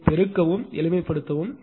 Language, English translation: Tamil, You just multiply and simplify